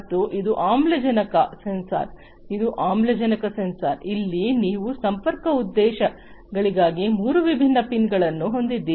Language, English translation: Kannada, And this one is an oxygen sensor, this is the oxygen sensor, here also you have three different pins for connectivity purposes